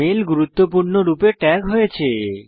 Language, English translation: Bengali, The mail is tagged as Important